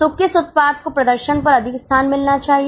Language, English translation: Hindi, So, which product should get more space on display